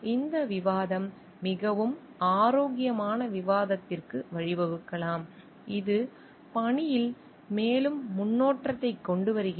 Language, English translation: Tamil, And may be this debate gives rise to very healthy discussion which brings out more improvement in the task